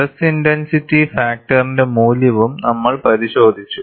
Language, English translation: Malayalam, We have also looked at the value for stress intensity factor